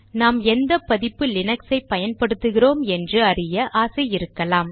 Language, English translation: Tamil, You may want to know what version of Linux Kernel you are running